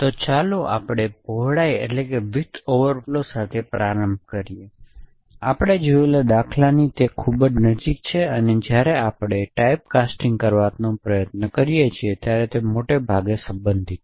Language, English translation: Gujarati, So, let us start with widthness overflow, so this is very close to the example that we have seen and it is mostly related to when we try to do typecasting